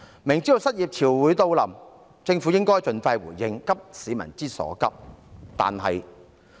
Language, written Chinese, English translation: Cantonese, 明知失業潮會來臨，政府應該盡快回應，急市民之所急。, Being well aware of an upcoming tide of unemployment the Government should respond expeditiously and address the peoples pressing needs